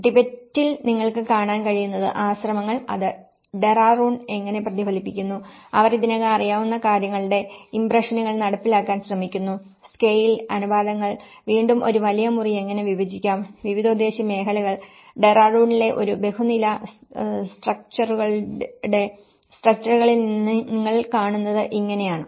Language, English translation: Malayalam, And what you can see in a Tibet, the monasteries and how it is reflected in the Dehradun and they try to carry out the impressions of what already they know and including the scale, the proportions and again how a big room could be divided for a multi purpose areas and how this is what you see in a multi storey structures in Dehradun as well